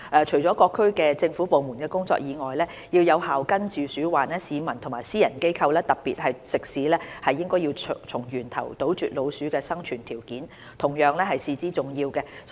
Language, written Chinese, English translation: Cantonese, 除了各政府部門的工作外，要有效根治鼠患，市民和私人機構，特別是食肆，對從源頭斷絕老鼠的生存條件同樣至為重要。, Apart from government efforts the collaboration between the public and private sectors to eliminate the conditions for rodents to survive at source is of paramount importance to effective prevention of rodent infestation